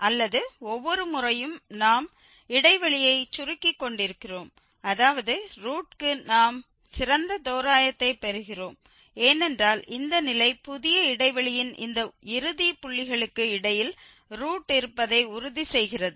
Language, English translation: Tamil, Or every time we are narrowing down the interval that means we are getting better approximation for the root because this condition makes sure that the root lies between this end points of the new interval